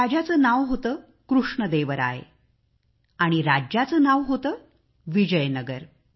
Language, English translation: Marathi, The name of the king was Krishna Deva Rai and the name of the kingdom was Vijayanagar